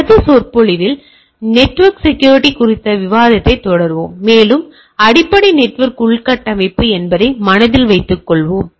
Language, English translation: Tamil, We will continue our discussion on network security in our subsequent lecture, and with keeping in mind that our basic network infrastructure into thing